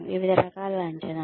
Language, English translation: Telugu, So, various definitions